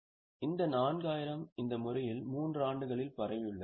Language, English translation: Tamil, Now, this 4,000 is spread over 3 years in this manner